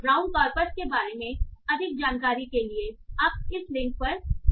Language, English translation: Hindi, For more information about Brown Corpus, you can visit this link